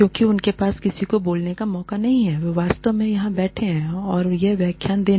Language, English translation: Hindi, Because, they have not, had a chance to speak to anyone, who is actually sitting here, and delivering this lecture